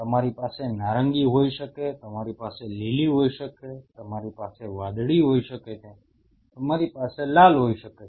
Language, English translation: Gujarati, You may have a orange one you may have a green one, you may have a blue one, you have a red one